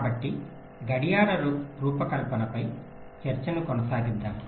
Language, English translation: Telugu, so let us continue a discussion on clock design